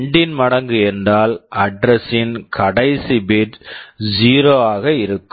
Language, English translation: Tamil, Multiple of 2 means the last bit of the address will be 0